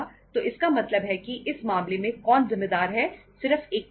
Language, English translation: Hindi, So it means in that case who is responsible, only one person